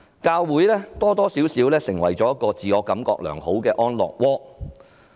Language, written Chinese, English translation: Cantonese, 教會多少成為自我感覺良好的安樂窩。, Churches more or less have become a haven to make people feel good